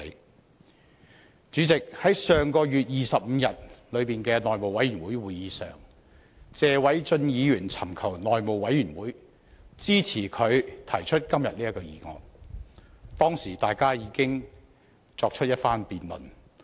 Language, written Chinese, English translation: Cantonese, 代理主席，在上月25日的內務委員會會議上，謝偉俊議員尋求內務委員會支持他提出今天這項議案，當時大家已有一番辯論。, Deputy President at the meeting of the House Committee on the 25 of last month Mr Paul TSE solicited support from the House Committee for proposing this motion today . At that time Members already had an intense debate